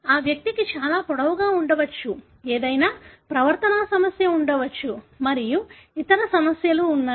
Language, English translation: Telugu, But, this individual could be very tall, could have any behavioral problem and there are other issues as well